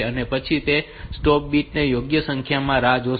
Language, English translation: Gujarati, And then it will wait for the appropriate number of stop bits